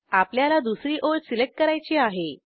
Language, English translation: Marathi, We want to select the second line